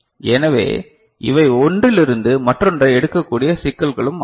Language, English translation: Tamil, So, these are also issues by which one has to pick up one from the other